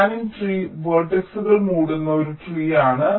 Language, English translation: Malayalam, a spanning tree is a tree that covers all the vertices